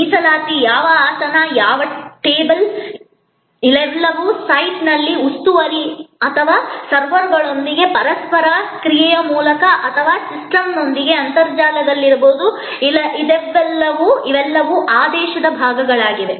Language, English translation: Kannada, The reservation which seat, which table, all those can be whether on site through the interaction with the steward or servers or on the internet with the system, these are all parts of the order take